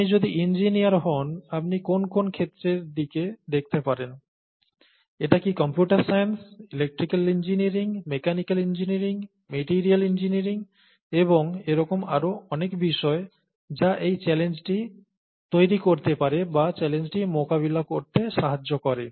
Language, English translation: Bengali, If you’re an engineer, you could look at what all aspects, is it computer science, electrical engineering, mechanical engineering, materials engineering and so on and so forth that go into making this challenge, or making or addressing, making it possible to address this challenge